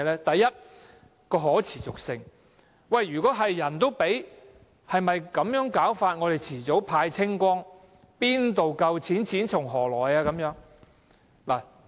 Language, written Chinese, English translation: Cantonese, 第一，可持續性；人人都有的話，資源遲早會耗盡，哪有足夠的金錢，錢從何來？, First sustainability . If everybody is entitled to a grant our resources will be exhausted sooner or later . How can we have sufficient money?